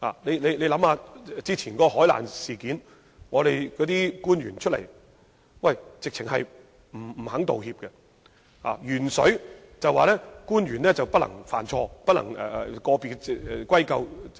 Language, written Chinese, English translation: Cantonese, 試想一下，過去的海難事件，政府官員總是不肯道歉，在鉛水事件上，政府更表示不能歸咎個別官員，態度強硬。, As we may recall government officials repeatedly refused to apologize for the maritime disaster and in the lead in drinking water incident the Government even took a tough stance and indicated that the blame should not be put on a particular official